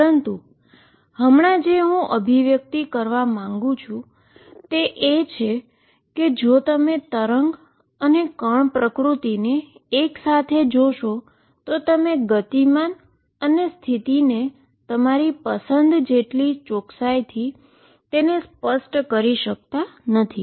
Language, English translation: Gujarati, But right now just I wanted to convey that if you look at the wave and particle nature together, you cannot specify the momentum and position to as much as accuracy as you like